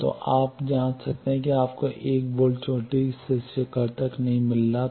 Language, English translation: Hindi, So, you can then check you are not getting 1 volt peak to peak